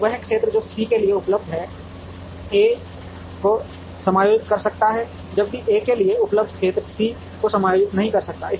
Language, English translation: Hindi, Now, the area that is available for C can accommodate A, whereas, the area that is available for A cannot accommodate C